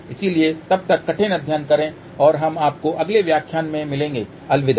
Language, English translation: Hindi, So, till then steady hard and we will see you in the next lecture